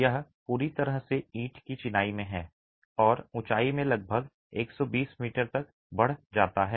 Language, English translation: Hindi, It's completely in brick masonry and rises to about a hundred and twenty meters in height